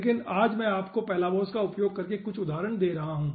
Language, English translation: Hindi, but today i will be giving you some example, or using palabos